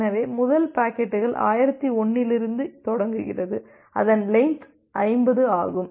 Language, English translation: Tamil, So that means, the first packets starts from 1001 and it has a length of 50